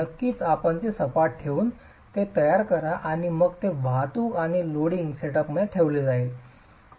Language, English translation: Marathi, Of course you construct it, keeping it flat, and then it is transported and put into the loading setup